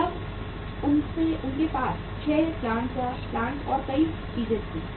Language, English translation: Hindi, Then they had the 6 plants and many things